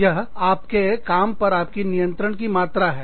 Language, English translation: Hindi, The amount of control, you have over your job